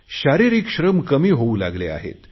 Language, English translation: Marathi, Physical labour is getting reduced